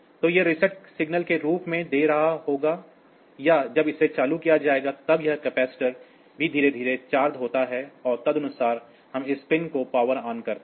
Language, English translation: Hindi, So, that will be giving as reset signal or when it is switched on; then also the capacitor slowly gets charged and accordingly we get this pin this power on part